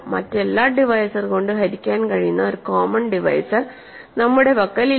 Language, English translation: Malayalam, We do not have a common divisor which is divisible by every other divisor, ok